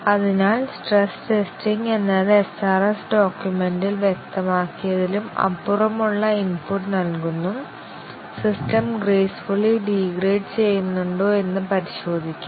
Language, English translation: Malayalam, So, stress testing is giving input which is beyond what is specified in the SRS document, just to check that the system gracefully degrades